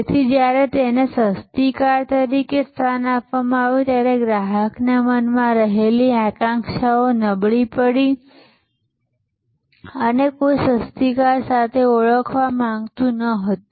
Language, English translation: Gujarati, So, when it was positioned as a cheap car, then it undermined that aspiration in the customer's mind and nobody wanted to be identified with a cheap car